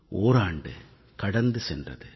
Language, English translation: Tamil, An entire year has gone by